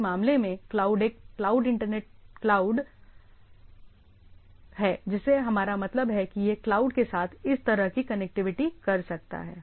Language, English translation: Hindi, In this case the cloud is Internet cloud what we mean and that is a I can have we can have this sort of connectivity with the cloud right